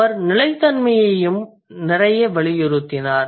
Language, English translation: Tamil, And he also emphasized a lot on consistency